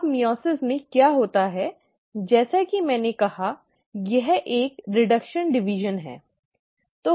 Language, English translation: Hindi, Now in meiosis, what happens is, there are, as I said, it is a reduction division